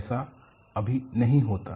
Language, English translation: Hindi, It is never the case